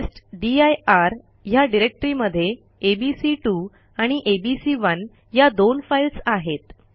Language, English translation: Marathi, The testdir directory contains two files abc2 and abc1